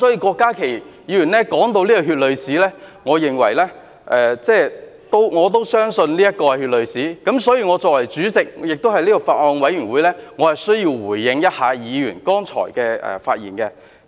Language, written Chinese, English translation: Cantonese, 郭家麒議員提到這段血淚史，我也相信這是血淚史，所以，我作為有關法案委員會的主席，我需要回應議員剛才的發言。, Dr KWOK Ka - ki mentioned this chapter of blood and tears in history and I also believe this is so . Therefore in the capacity of the Chairman of the Bills Committee concerned I need to respond to the comments made earlier by Members